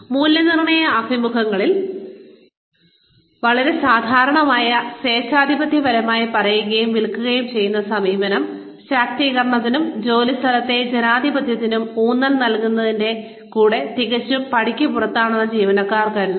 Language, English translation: Malayalam, Employees feel that, the authoritarian tell and sell approach, so common in appraisal interviews, is completely out of step, with today's emphasis, emphases on empowerment and workplace democracy